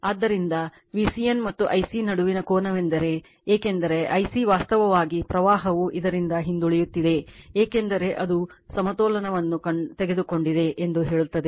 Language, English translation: Kannada, So, angle between V c n and I c is theta , because I c actually current is lagging from this one because it is balance say you have taken balance